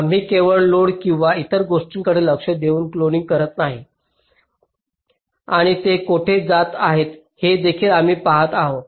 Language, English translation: Marathi, we are doing cloning not just by looking at the loads or other things, and also we are looking where they are going